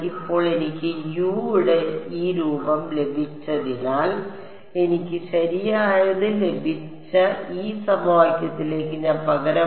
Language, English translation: Malayalam, Now that I have got this form of U, I substituted into this equation that I got alright